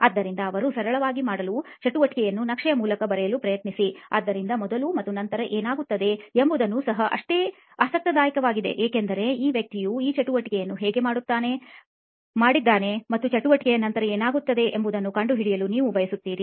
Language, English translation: Kannada, So just to be very simple write down the activity that they are trying to map, so what happens before and after is also equally interesting because you want to find out how this person got around to doing this activity and what happens after the activity is done